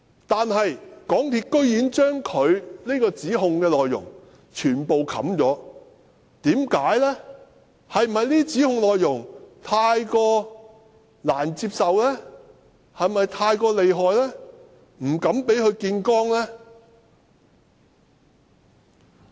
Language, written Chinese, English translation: Cantonese, 但是，港鐵公司居然將他指控的內容全部掩蓋，是否因為這些指控內容太難接受、太厲害，所以不敢公開這些指控？, But MTRCL has completely covered up his allegations . Is it because his allegations are too hard to accept and too powerful that MTRCL dare not disclose them? . Fellow Members we now at least have China Technology which is brave enough to step out